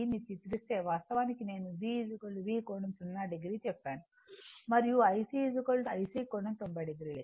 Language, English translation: Telugu, Actually, I told you V is equal to V angle then 0 degree and I C is equal to your I C angle 90 degree